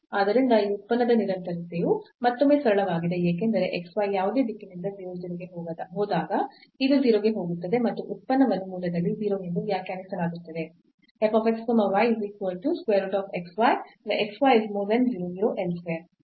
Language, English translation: Kannada, So, the continuity of this function is again simple because when x y go goes to 0 0 from any direction this will go to 0 and the function is also defined as 0 at the origin